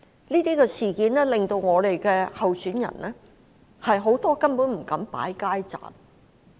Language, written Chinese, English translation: Cantonese, 這些事件令到我們有多位候選人根本不敢擺設街站。, As a result of these incidents many of our candidates do not even dare to set up street booths